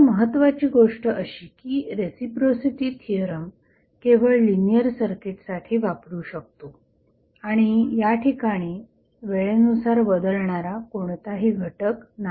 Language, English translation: Marathi, Now, important thing is that the reciprocity theorem can be applied only when the circuit is linear and there is no any time wearing element